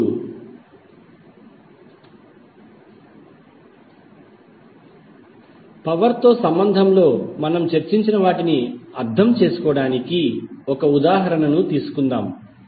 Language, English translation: Telugu, Now, let us take one example to understand what we have discussed in relationship with the power